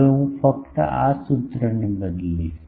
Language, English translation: Gujarati, Now, I will just manipulate this formula